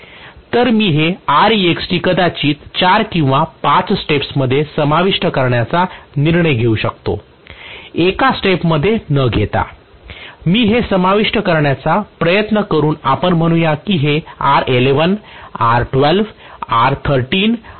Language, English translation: Marathi, So I may choose to include this R external maybe with four or five steps, rather than including in one step, I may just try to include let us say this is R11, R12, R13 or R14